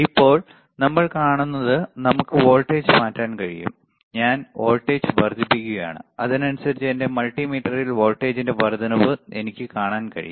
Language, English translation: Malayalam, So, right now what we see is we can change the voltage we I am increasing the voltage and correspondingly I can see the increase in the voltage here on my multimeter